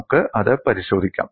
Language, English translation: Malayalam, We will have a look at it